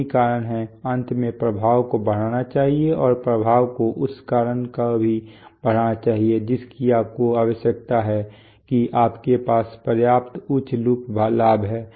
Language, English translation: Hindi, That is the cause, must finally increase the effect and the effect should also increase the cause for that what you need is that you have a high enough loop gain